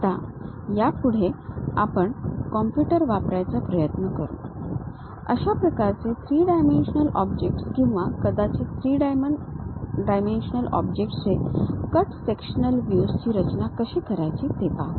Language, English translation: Marathi, Now, onwards we will try to use computers, how to construct such kind of three dimensional objects or perhaps the cut sectional views of three dimensional objects